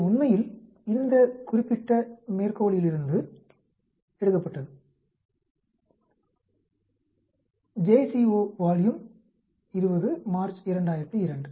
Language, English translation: Tamil, This was taken from this particular reference actually, j c o volume 20 March 2002